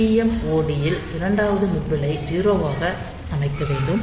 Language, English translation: Tamil, So, TMOD setting second nibble is 0